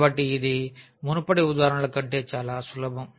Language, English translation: Telugu, So, this is much simpler than the earlier examples